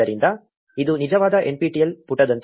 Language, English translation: Kannada, So, this looks much more like a genuine nptel page